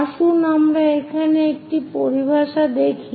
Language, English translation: Bengali, Let us here look at this terminology